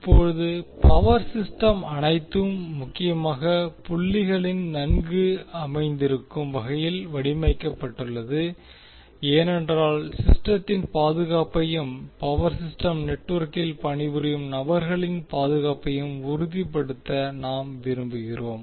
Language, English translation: Tamil, Now power system is designed in the way that the system is well grounded at all critical points why because we want to make ensure the safety of the system as well as the person who work on the power system network